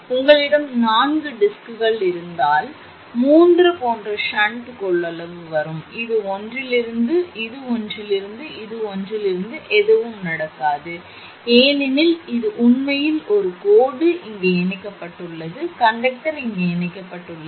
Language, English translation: Tamil, If you have a four discs means three such shunt capacitance will come, this from one, this is from one, this is from one and nothing will be there because it is a line actually line is connected here conductor is connected here